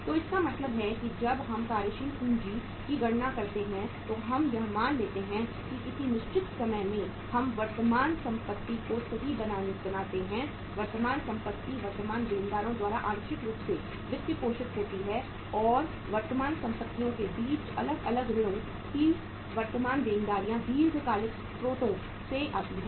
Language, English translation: Hindi, So it means when we calculate the working capital we assume that uh in a given period of time we create current assets right and those current assets are partly funded by the current liabilities and the different between the current assets minus current liabilities comes from the long term sources